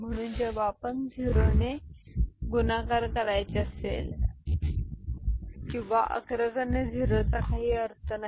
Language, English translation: Marathi, So, when if you multiply if you have to multiply it with a 0 or the leading 0 does not make any sense